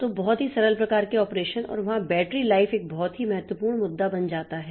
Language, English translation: Hindi, So, very simple type of operations and there the battery life becomes a very important issue